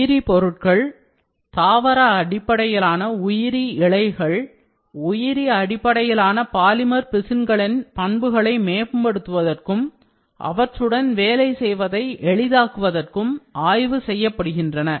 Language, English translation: Tamil, Bio materials, plant based bio fibers have been investigation to improve the properties of bio based polymer resins and make them easier to work with